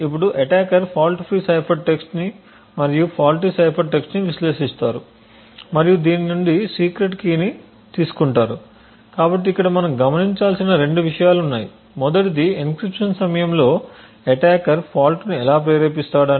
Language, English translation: Telugu, Now the attacker would analyze the fault free cipher text and the faulty cipher text and from this derive the secret key so there are essentially two things to look over here first is how would the attacker induce the fault during an encryption